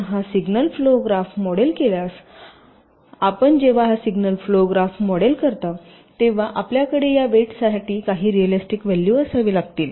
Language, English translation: Marathi, so if you model this signal flow graph, one thing: when you model this signal flow graph, you have to have some realistic values for this weights